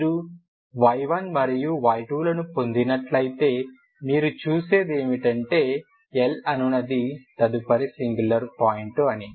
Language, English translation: Telugu, If you get y 1 and y 2, what you see is upto the next singular point that is L